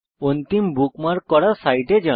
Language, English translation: Bengali, * Go to the last bookmarked site